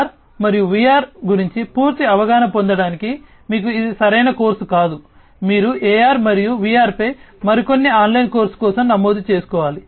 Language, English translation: Telugu, But then again you know this will not be right course for you to get you know the complete understand more about AR and VR, you need to register for some other online course on AR and VR